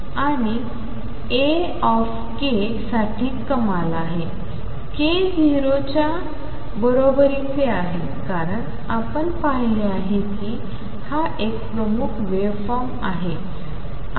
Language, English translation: Marathi, And A k is maximum for k equals k 0 because you see that is a predominant waveform